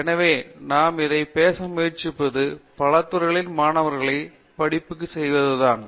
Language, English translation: Tamil, So, the way we try to address this is to have them do courses across many disciplines